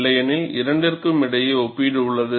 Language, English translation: Tamil, Otherwise, there is comparison between the two